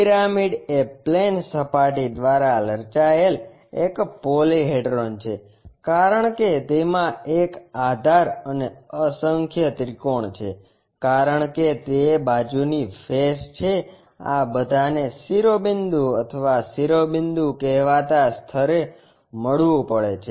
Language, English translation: Gujarati, A pyramid is a polyhedra formed by plane surface as it is base and a number of triangles as it is side faces, all these should meet at a point called vertex or apex